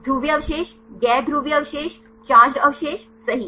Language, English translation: Hindi, Polar residues, non polar residues, charge residues right